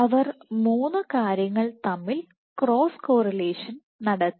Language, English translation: Malayalam, So, they did cross correlation between three things